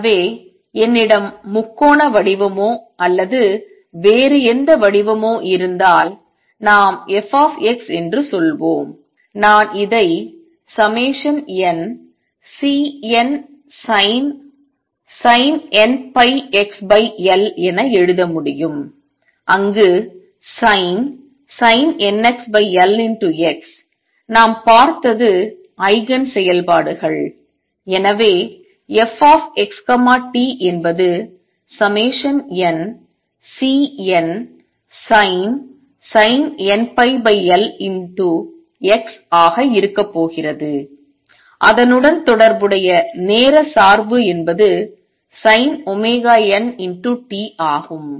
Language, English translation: Tamil, So, if I had the triangular shape or any other shape, let us say f x; I can write this as summation n C n sin of n pi over L x where sin of n pi L x, we saw are the Eigen functions and therefore, f x t is going to be summation over n C n sin of n pi over L x and the corresponding time dependence is sin of omega n t